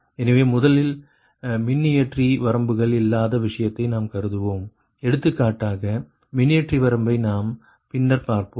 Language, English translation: Tamil, so we will first consider the case without the generator limits, for example generator limit that we will see later